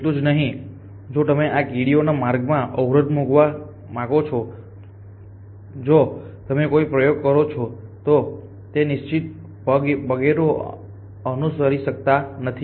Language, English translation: Gujarati, Not only that if you go to put an optical in the pass of these ants if you own experiment then off course we cannot follow the trail